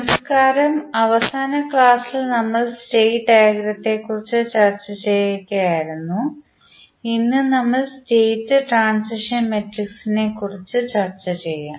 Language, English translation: Malayalam, Namaskar, so in last class we were discussing about the state diagram, today we will discuss about the State Transition Matrix